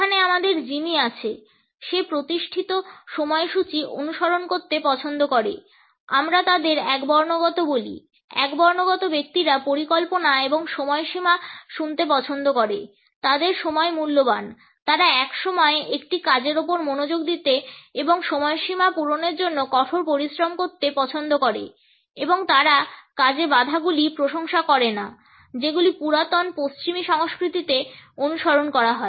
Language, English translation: Bengali, Here we have Jimmy, he likes to follow established schedules, we call them monochromic; monochronic people like to hear the plans and deadlines their time is valuable they like to focus on one task at a time and work hard to meet deadlines and they do not appreciate interruptions one of the chronic cultures commonly followed in western society